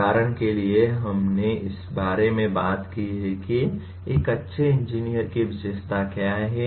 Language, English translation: Hindi, For example we talked about what are the characteristics of a good engineers